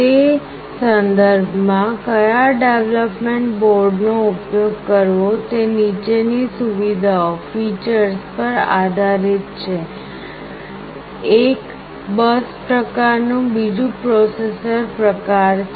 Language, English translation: Gujarati, In that regard which development board to use is based on the following features; one is the bus type another is the processor type